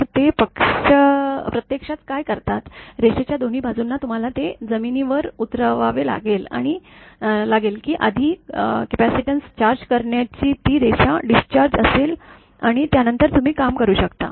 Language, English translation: Marathi, So, what they do actually; both side of the line, you have to ground it such that that line to charging capacitance first will be discharge and after that you can work